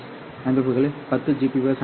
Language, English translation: Tamil, 5 to 10 gbps systems